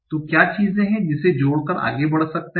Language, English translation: Hindi, So what are the things that I added